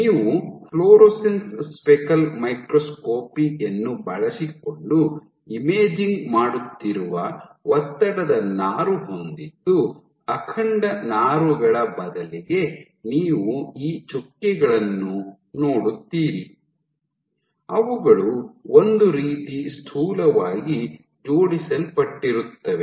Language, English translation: Kannada, So, if you have a stress fiber, we have a stress fiber where you are imaging using fluorescence speckle microscopy, so instead of the intact fiber you would see these dots which are kind of roughly aligned